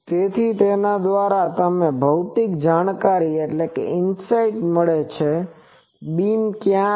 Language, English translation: Gujarati, So, by that, now you get a physical insight that ok, where is the beam etc